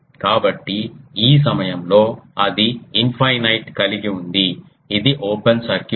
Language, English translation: Telugu, So, at this point it is having an infinite it is an open circuit